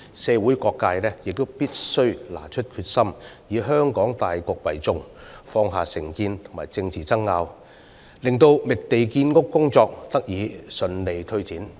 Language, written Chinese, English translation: Cantonese, 社會各界必須展示決心，以香港大局為重，放下成見和政治爭拗，令覓地建屋工作得以順利推展。, Various sectors of the community must demonstrate determination putting the overall interests of Hong Kong first while putting aside prejudices and political disputes so that the work on identifying lands for housing construction may proceed smoothly